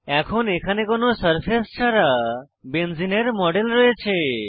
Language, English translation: Bengali, Now, we have a model of benzene without any surfaces